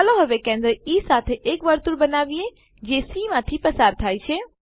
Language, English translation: Gujarati, Lets now construct a circle with centre as D and which passes through E